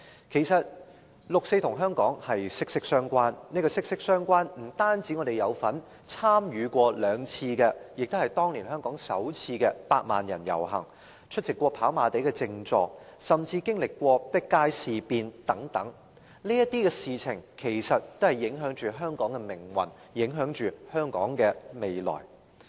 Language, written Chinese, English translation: Cantonese, 其實，六四與香港息息相關，這種息息相關，不僅是因為我們曾參與兩次——其中一次亦是香港的首次——百萬人遊行、出席跑馬地的靜坐，甚至經歷過碧街事變等，這些事情其實也影響着香港的命運和未來。, The 4 June incident is in fact closely related to Hong Kong . Such a close connection is not only an outcome of our participation in two million - people marches―one of which was the first million - people march held in Hong Kong―as well as the sit - in in Happy Valley and even the outbreak of the Pitt Street riot and so on as these events have also influenced the destiny and future of Hong Kong actually